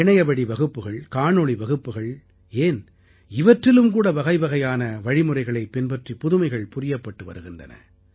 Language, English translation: Tamil, Online classes, video classes are being innovated in different ways